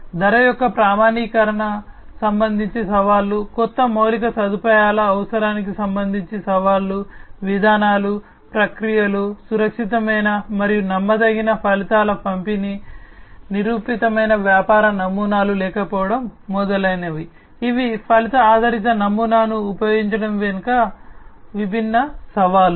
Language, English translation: Telugu, Challenges with respect to the standardization of the price, challenges with respect to the requirement of new infrastructure, policies, processes, safe and reliable outcome delivery, lack of proven business models etcetera, these are different challenges behind the use of outcome based model